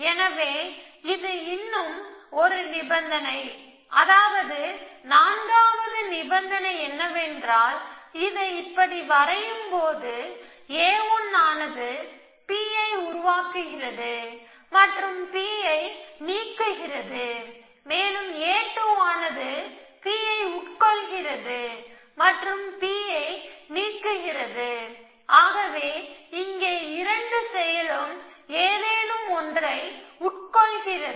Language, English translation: Tamil, So, that is one more condition and the fourth condition is that, so it as draw it like this is a 1 produces P and deletes P and if a 2 also does that, it consumes P and deletes P if both of them are consuming something